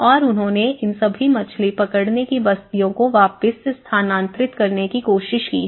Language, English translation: Hindi, And they have tried to move back all these fishing settlements